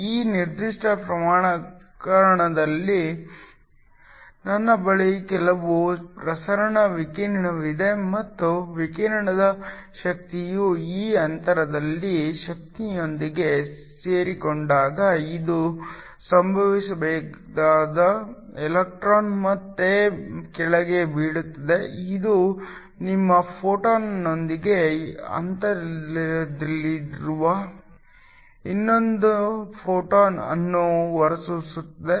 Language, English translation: Kannada, In this particular case I have some incident radiation hυ and the energy of the radiation coincides with the energy of this gap when this happens the electron falls back down, this emits another photon which is in phase with the photon that is incident on your sample